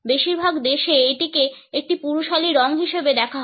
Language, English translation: Bengali, In most countries, it is viewed as a masculine color